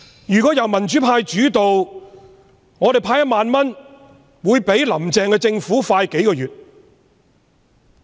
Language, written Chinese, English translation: Cantonese, 如果香港由民主派主導，我們派發1萬元的速度會較"林鄭"政府快數個月。, If Hong Kong was led by the pro - democracy camp we would disburse the 10,000 several months faster than the Carrie LAM Administration